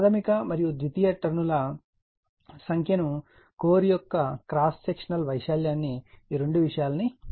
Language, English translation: Telugu, Calculate the number of primary and secondary turns, cross sectional area of the core, right this two things we have to determine